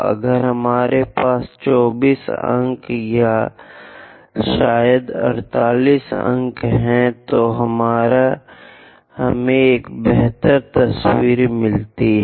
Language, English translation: Hindi, If we have 24 points or perhaps 48 points, we get better picture